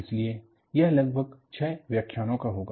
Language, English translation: Hindi, So, that will be for about six lectures